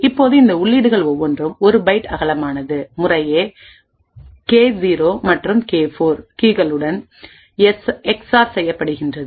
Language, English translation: Tamil, Now these inputs each are of let us say a byte wide gets xored with keys K 0 and K 4 respectively, thus we get P0 XOR K0 at one side and P4 XOR K4 on the other side